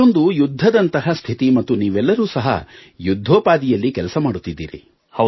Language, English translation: Kannada, This is a warlike situation and you all are managing a frontline